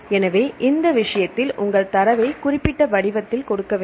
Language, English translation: Tamil, So, in this case you have to give your data in specific format that is very important